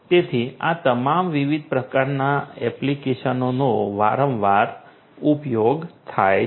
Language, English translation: Gujarati, So, all of these different types of applications are often used